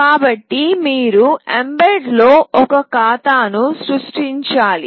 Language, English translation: Telugu, So, you need to create an account in mbed